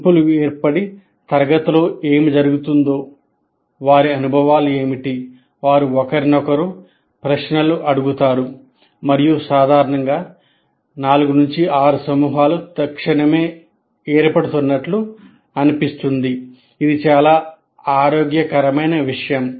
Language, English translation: Telugu, Groups will form and start discussing what has happened in the class, what was their experiences, they will ask each other questions and generally groups of four, five, six seem to be readily forming in that, which is a very healthy thing